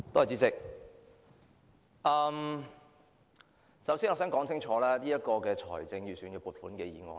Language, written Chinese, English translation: Cantonese, 主席，首先，我們該如何看這份財政預算案？, President first of all how should we view this Budget?